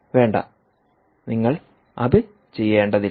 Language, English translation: Malayalam, no, you dont have to do that